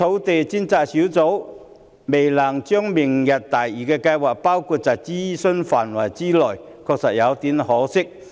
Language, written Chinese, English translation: Cantonese, 至於專責小組未能把明日大嶼計劃納入諮詢範圍，的確有點可惜。, It is somewhat a pity that the Task Force has not been able to incorporate the Lantau Tomorrow programme in its consultation exercise